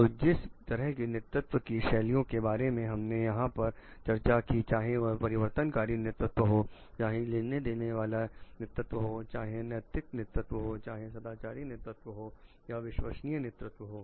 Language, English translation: Hindi, So, the leadership styles that we have discussed over here be it transformational leadership, be it transactional leadership, be it ethical leadership, moral leadership or authentic leadership